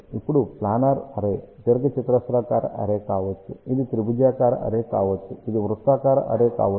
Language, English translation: Telugu, Now, planar array can be a rectangular array, it can be triangular array, it can be circular array